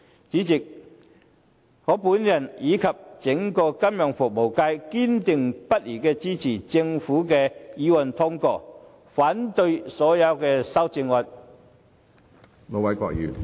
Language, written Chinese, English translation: Cantonese, 主席，我和整個金融服務界堅定不移支持通過政府的議案，反對所有修正案。, President the entire financial services sector and I will give our unwavering support to the passage of the Governments motion and will object to all amendments